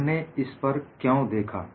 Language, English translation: Hindi, Why we look at these